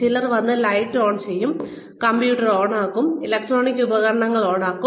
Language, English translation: Malayalam, Some people will come, and switch on the lights, switch on the computer, switch on their electronic devices